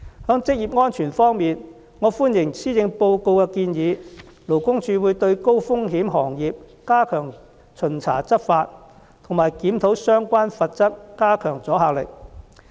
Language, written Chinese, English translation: Cantonese, 在職業安全方面，我歡迎施政報告的建議，勞工處會對高風險行業加強巡查執法和檢討相關罰則，加強阻嚇力。, On the front of occupational safety I welcome the recommendations in the Policy Address that regarding high risk industries the Labour Department will strengthen its efforts on inspection and enforcement and will review the penalties of relevant legislation to amplify their deterrent effect